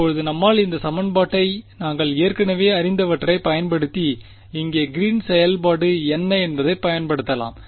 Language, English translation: Tamil, Now can we solve this equation using what we already know which is the Green’s function over here can I use this what do you think